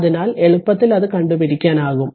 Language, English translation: Malayalam, So, easily you can get it